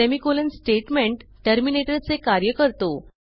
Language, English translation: Marathi, Semicolon acts as a statement terminator